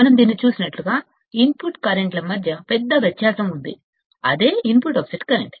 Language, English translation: Telugu, As we have seen this, that there is a big difference between the input currents and is the input offset current